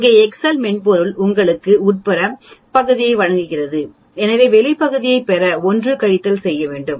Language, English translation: Tamil, Where as the Excel software gives you the inside area so I need to subtract 1 minus to get the outside area